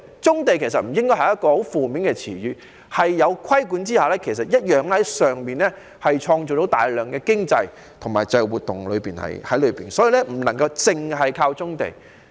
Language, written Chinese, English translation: Cantonese, 棕地不應是一個很負面的詞語，在規管下同樣可以從棕地中創造大量經濟活動，所以不能單靠棕地。, Hence brownfield sites should not be a very negative term . With regulation they can also generate a lot of economic activities . Thus brownfield sites cannot be relied on alone to resolve land shortage